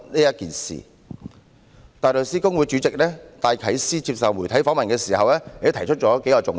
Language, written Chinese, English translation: Cantonese, 香港大律師公會主席戴啟思在接受媒體訪問時，也提出了數個重點。, When the Chairman of the Hong Kong Bar Association Philip DYKES was interviewed by the media he also raised a few important points